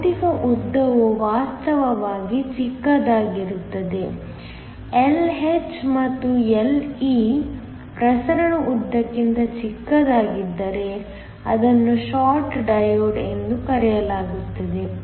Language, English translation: Kannada, If the physical length is actually shorter, if Lh and Le are smaller than the diffusion lengths then it is called a short diode